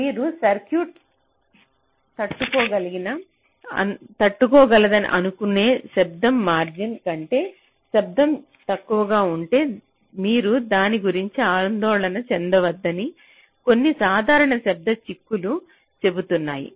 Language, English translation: Telugu, so some simple noise implication says that if the noise is less than the noise margin which your circuit is suppose to tolerate, then you should not worry about it